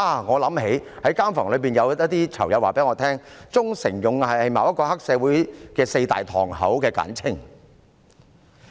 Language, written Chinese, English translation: Cantonese, 我想起在監房內一些囚友告訴我，"忠誠勇毅"是某個黑社會組織的四大堂口的簡稱。, I recall some inmates in the prison told me that honour duty and loyalty is the short name of the four main divisions of a certain triad society